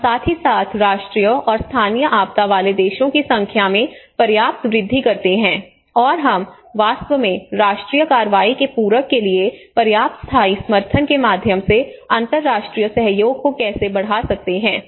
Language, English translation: Hindi, And as well as substantially increase the number of countries with national and local disaster and you know how we can actually enhance the international cooperation through adequate sustainable support to complement the national action